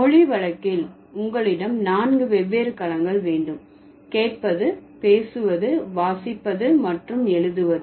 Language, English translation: Tamil, So, I told you, so in case of language, you will have four different domains, listening, speaking, reading and writing